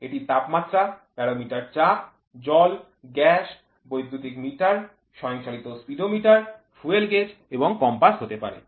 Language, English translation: Bengali, It can be temperature, it can be barometer pressure, water, gas, electric meter, automotive speedometer and fuel gage and compass